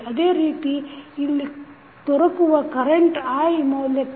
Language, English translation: Kannada, Similarly, for the value of current i which you get here